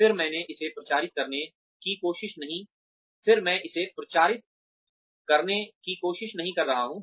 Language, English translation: Hindi, Again, I am not trying to publicize it